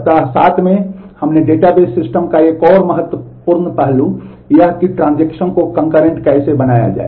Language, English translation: Hindi, In week 7, we did another critical aspect of database systems that is how to make transactions work concurrently